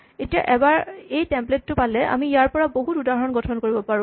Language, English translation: Assamese, Now once we have this template we can construct many instances of it